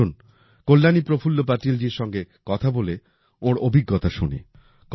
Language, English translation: Bengali, Come let's talk to Kalyani Prafulla Patil ji and know about her experience